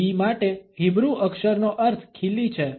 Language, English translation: Gujarati, The meaning for the Hebrew letter for V is nail